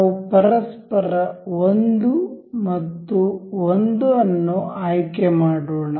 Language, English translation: Kannada, Let us just select 1 and 1 to each other